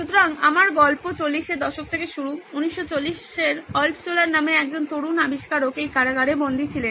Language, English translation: Bengali, So my story starts here 40’s, 1940’s a young inventor by name Altshuller was imprisoned in this prison